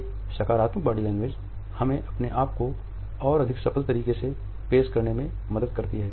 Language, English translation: Hindi, A positive body language helps us in projecting ourselves in a more successful manner